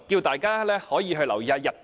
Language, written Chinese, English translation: Cantonese, 大家也可以留意日本。, I would also like to draw colleagues attention to Japan